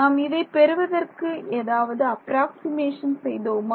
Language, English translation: Tamil, Did we do any approximations to arrive at this